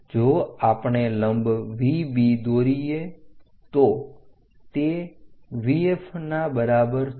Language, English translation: Gujarati, If we draw perpendicular V B is equal to V F